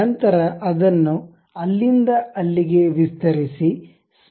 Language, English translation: Kannada, Then extend it from there to there